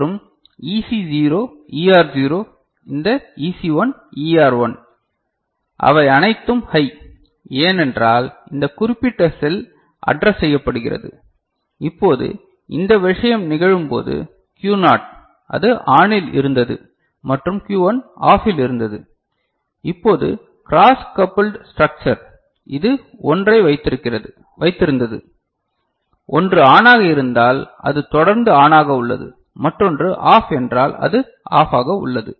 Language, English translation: Tamil, And EC0 ER0 this EC1 ER1, they are all are high, because this particular cell is addressed ok; now, when this thing happens Q naught, which was ON and Q1 which was OFF now, this is, it was just holding 1 you know this cross coupled structure, if one is ON it remains ON, another is OFF means it remains OFF